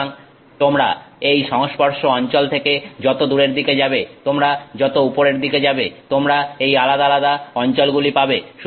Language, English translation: Bengali, So, as you go away from this contact region as you go up, you get these different regions